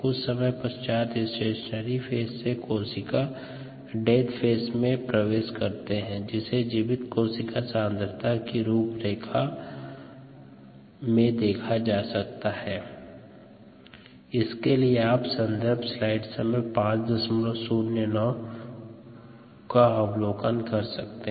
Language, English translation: Hindi, after some time, the stationary phase, you enter the death phase, which a will show up in the viable cell concentration profile